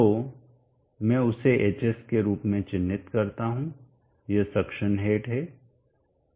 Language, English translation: Hindi, So let us mark that and I will mark that one as Hs, this is the suction head